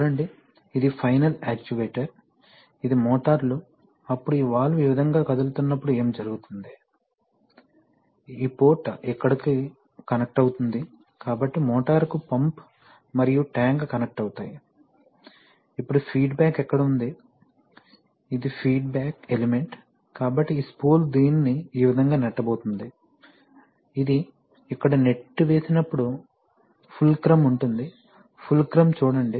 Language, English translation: Telugu, You see that, this is the final actuator, this is the motors, then when this valve will move this way then what will happen is that, probably this port will get connected to here and this port will get connected to here, so then you will get pump and tank connected to the motor, now where is the feedback, the feedback is here in this thing, this is the feedback element, so this spool is going to push this thing this way, when it pushes here is a fulcrum, see fulcrum